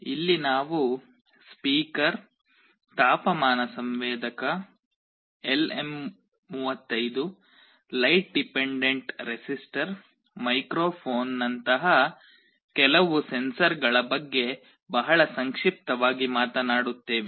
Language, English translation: Kannada, Here we shall be very briefly talking about some of the sensors like speaker, temperature sensor, LM35, light dependent resistor, microphone that we shall be showing as part of the demonstration